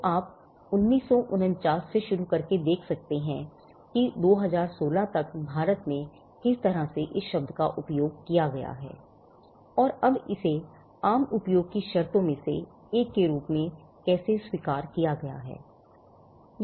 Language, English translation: Hindi, So, you can see starting from 1949 onwards how till 2016 how the term has been used in India, and how it has now been accepted as one of one of the terms with common use